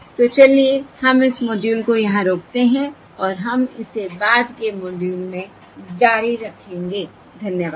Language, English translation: Hindi, okay, So let us stop this module here and we will continue this in the subsequent module